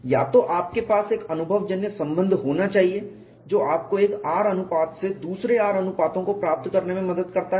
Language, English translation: Hindi, There is no other way; either you should have an empirical relation which helps to you get from one R ratio to other R ratios; otherwise you have to do exhaustive test